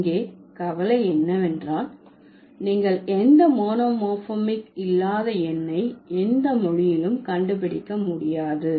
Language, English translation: Tamil, So, the concern here is that you would never find any language which doesn't have any monomorphic numeral